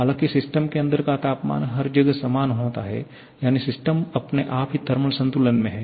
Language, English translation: Hindi, However, inside the system temperature is same everywhere that is system itself is in thermal equilibrium